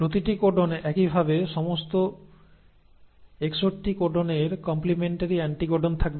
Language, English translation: Bengali, So every codon, likewise all 61 codons will have the complementary anticodons